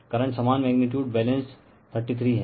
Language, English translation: Hindi, Currents are same magnitude balance 33